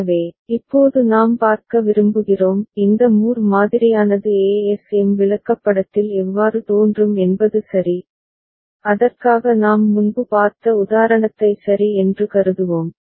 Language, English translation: Tamil, So, we would now would like to see the this Moore model how it would appear in the ASM chart right and for that let us consider the example that we had seen before ok